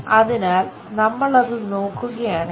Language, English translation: Malayalam, So, if we are looking at it